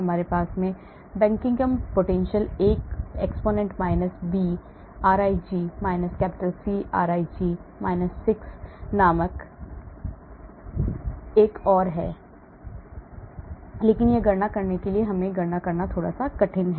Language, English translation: Hindi, we have another one called Buckingham potential A exponent – B rij – C rij – 6, but it is slightly harder to compute we have to calculate this